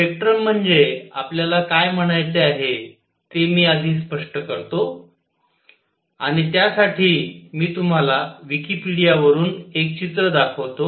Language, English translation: Marathi, Let me first explain what do we mean by spectrum and for that I will show you a picture from Wikipedia